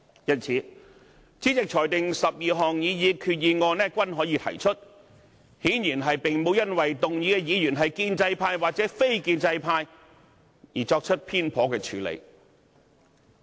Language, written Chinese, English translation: Cantonese, 因此，主席裁定12項擬議決議案均可提出，顯然並沒有因為提出議案的議員是建制派還是非建制派而作出偏頗的處理。, Hence when the President ruled that the 12 proposed resolutions could be moved this is obviously not a biased decision made simply on the basis of the identity of their movers that is whether they are Members from the pro - establishment or non - establishment Members